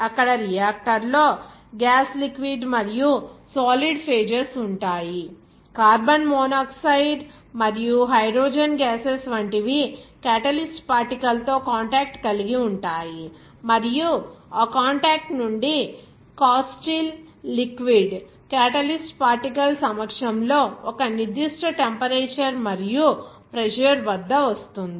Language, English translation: Telugu, Where gas liquid and solid phases are involved in the reactor there; like carbon monoxide and hydrogen gases will be coming in contact with the catalyst particle and from that contact that Castile liquid at a certain temperature and pressure in the presence of catalyst particles